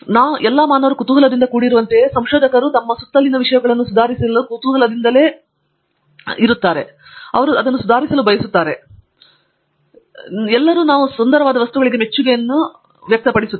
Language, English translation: Kannada, So, just like humans are curious, all the humans want to actually improve things around us and we of course, all have very appreciation for beautiful things